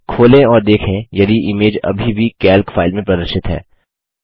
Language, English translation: Hindi, Open and check if the image is still visible in the Calc file